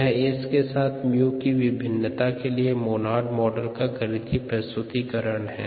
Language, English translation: Hindi, this is the mathematical representation of the variation, the monod model of ah, mu's variation with s